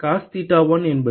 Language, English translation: Tamil, Cos theta 1 is